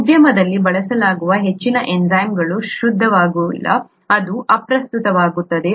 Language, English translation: Kannada, Most enzymes used in the industry are not pure, that doesn’t matter